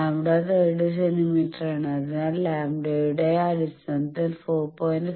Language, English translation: Malayalam, Lambda is 30 centimeter, so how much is 4